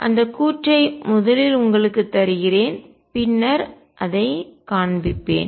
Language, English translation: Tamil, Let me give that statement to you and I will show it later